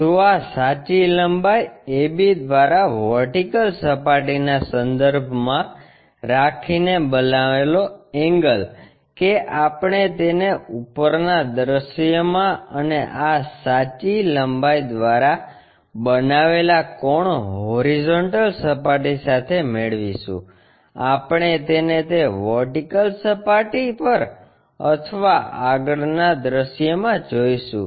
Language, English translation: Gujarati, So, the angle made by this true length AB with respect to the vertical plane, that we will get it in the top view and the angle made by this true length with the horizontal we will see it on that vertical plane or in the front view